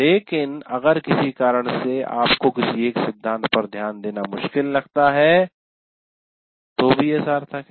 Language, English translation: Hindi, But if for some reason you find it difficult to pay attention to one of the principles, still it is worthwhile